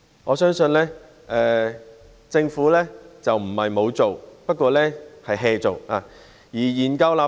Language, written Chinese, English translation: Cantonese, 我相信政府不是沒有做，只不過是""做。, In my opinion it is not the case that the Government has done nothing just that it is not making enough efforts